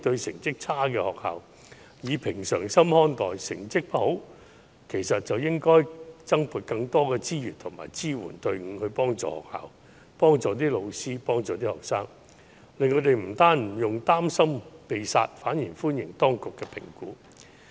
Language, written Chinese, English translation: Cantonese, 成績不佳，當局其實應該增撥資源和支援隊伍幫助學校、老師和學生，令他們不但不用擔心"被殺"，反而更會歡迎當局的評估。, To help those schools with low academic achievement the authorities should in fact allocate additional resources and send support teams to help their teachers and students so that they will not worry about their school being closed down and will instead welcome assessments by the authorities more readily